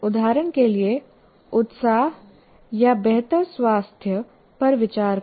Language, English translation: Hindi, For example, enthusiasm or better health